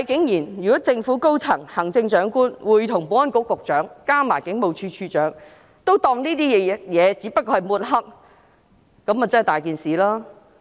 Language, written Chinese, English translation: Cantonese, 如果政府高層，包括行政長官、保安局局長及警務處處長均認為這只不過是抹黑，那便真的不妥。, Numerous people are unhappy with the Police . Something really goes wrong should the senior government officials including the Chief Executive the Secretary for Security and the Commissioner of Police regard it as mere mudslinging